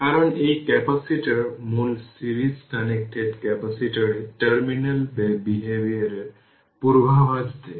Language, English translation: Bengali, So, because this capacitor predicts the terminal behavior of the original series connected capacitor